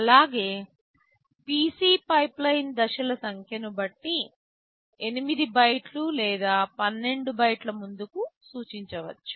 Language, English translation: Telugu, Also, PC can point to 8 bytes ahead or 12 depending on the number of pipeline stages